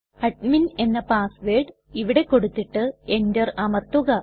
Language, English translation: Malayalam, I will give the Admin password here and Enter